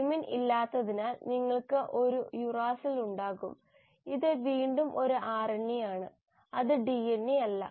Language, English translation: Malayalam, because there is no thymine so you will have a uracil; this is again an RNA it is not a DNA